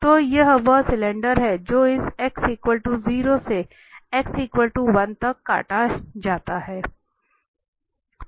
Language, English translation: Hindi, So this is the cylinder which is cut from this x is equal to 0, to x is equal to 1